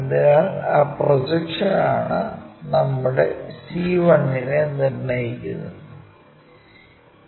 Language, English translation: Malayalam, So, that projection determines our c 1